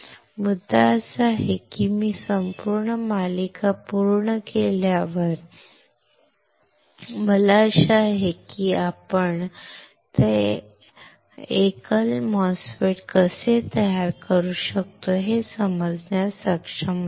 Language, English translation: Marathi, The point is once I finish the whole series, I hope that you would be able to understand how we can fabricate that single MOSFET right